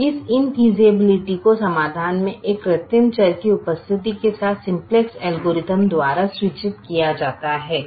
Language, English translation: Hindi, now this in feasibility is indicated by the simplex algorithm with the present of an artificial variable in the solution